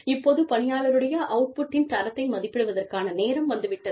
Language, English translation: Tamil, Now, it is time for you, to assess the quality of the output, of the employee